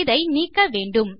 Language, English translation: Tamil, We want to get rid of that